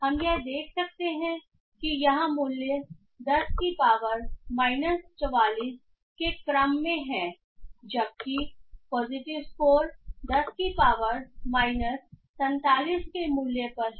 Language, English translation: Hindi, We can find that the value here is in the order of 10 to the power minus 44 while the positive score is somewhere at in the value of 10 to the power of minus 47